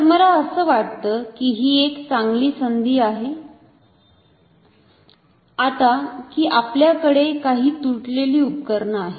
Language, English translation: Marathi, So, I think it is a nice opportunity for us that we have some broken instruments with us